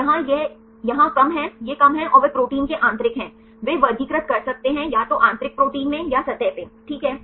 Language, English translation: Hindi, So, here this is less here this is less and they are the interior of the protein, they can classified into either interior the protein are at the surface fine